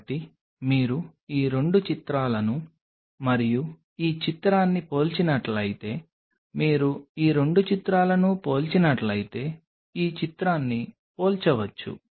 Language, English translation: Telugu, So, what you if you compare these 2 this picture and this picture compare if you compare these 2 pictures